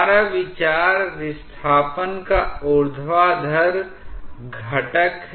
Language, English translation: Hindi, Our consideration is the vertical component of the displacement